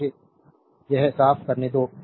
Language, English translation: Hindi, So, let me clean this one, right